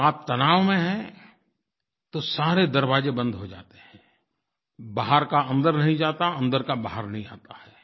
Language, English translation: Hindi, If you are tense, then all the doors seem to be closed, nothing can enter from outside and nothing can come out from inside